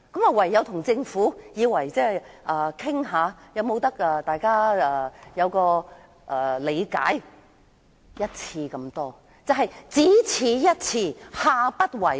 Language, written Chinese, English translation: Cantonese, 我唯有與政府討論，看看雙方可否同意這次做法是只此一次，下不為例。, All I can do is to talk to the Government to see if we can agree on making this arrangement once and for all without setting a precedent